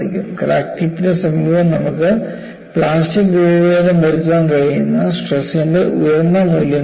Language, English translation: Malayalam, Because we all know near the crack tip, you have very high values of stresses that can give you plastic deformation